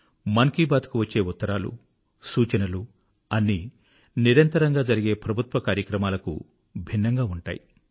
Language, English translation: Telugu, The letters which steadily pour in for 'Mann Ki Baat', the inputs that are received are entirely different from routine Government matters